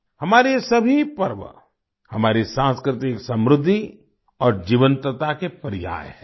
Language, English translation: Hindi, All these festivals of ours are synonymous with our cultural prosperity and vitality